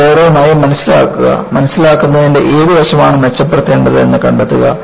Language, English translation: Malayalam, Learn them, case by case and find out, what aspect of understanding has to be improved